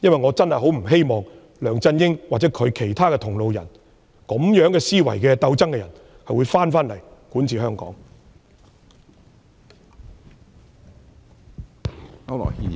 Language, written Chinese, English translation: Cantonese, 我真的不希望梁振英或與他同路的人，以同樣的思維和競爭心態管治香港。, I really do not hope to see LEUNG Chun - ying or any of his allies govern Hong Kong with the same mentality and competitive mindset